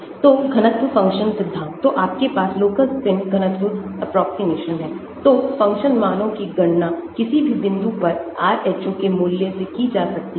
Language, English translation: Hindi, So, density function theory, so you have the local spin density approximation, so the function values can be calculated from the value of Rho at any point